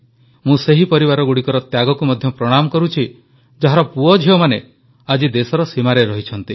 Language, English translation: Odia, I also salute the sacrifice of those families, whose sons and daughters are on the border today